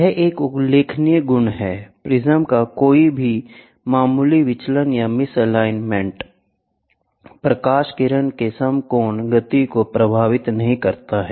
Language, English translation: Hindi, This is a remarkable property, any slight deviation or misalignment of the prism does not affect the right angle movement of the light ray